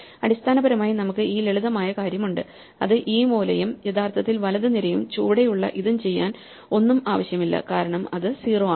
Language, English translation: Malayalam, We can basically, we have this simple thing which says that the corner and the actually the right column and the bottom thing do not require anything and we know that because those are all 0s